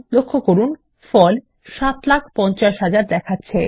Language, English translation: Bengali, Notice the result shows 7,50,000